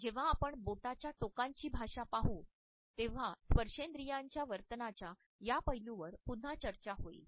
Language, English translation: Marathi, When we will look at the language of the fingertips then these aspects of our haptic behavior would be discussed once again